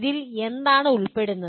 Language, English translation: Malayalam, What does it include